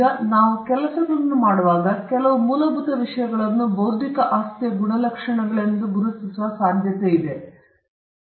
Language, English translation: Kannada, Now, when we do these things, we will find that it is possible for us to identify certain fundamental things as characteristic of an intellectual property right